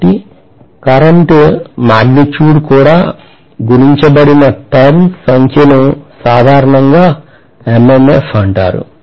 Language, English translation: Telugu, So the number of turns multiplied by the current magnitude itself is generally known as the MMF